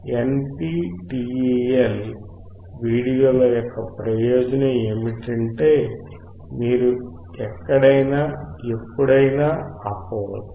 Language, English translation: Telugu, The advantage of NPTEL videos is that you can stop at any time